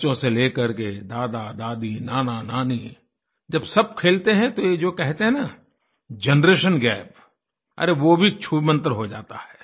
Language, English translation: Hindi, From tiny tots to GrandfatherGrandmother, when we all play these games together then the term 'Generation Gap' disappears on its own